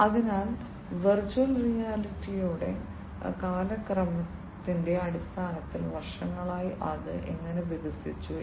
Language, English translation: Malayalam, So, in terms of the chronological order of virtual reality, how it you know it has evolved over the years